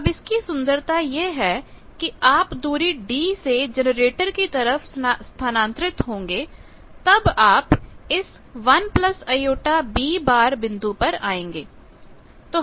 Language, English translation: Hindi, Now, the beauty is when you will be transported by a distance d towards generator you will come to this point 1 plus j b point